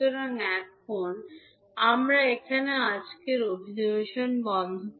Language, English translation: Bengali, So now, we close the today's session here